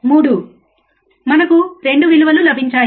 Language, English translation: Telugu, 3 we get 2 values, right